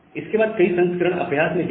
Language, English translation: Hindi, And after that, many of the variants also came into practice